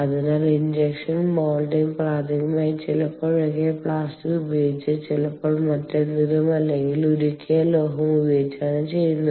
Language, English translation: Malayalam, so this is where you know the injection molding is done: prime, sometimes using plastic, ah, sometimes using something else, ah or molten metal